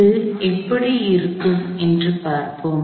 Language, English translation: Tamil, So, let us see, what that looks like